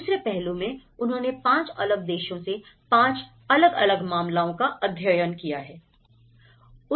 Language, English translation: Hindi, Then, the second aspect is they have taken 5 case studies, each from different country